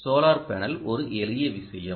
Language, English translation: Tamil, this is a solar panel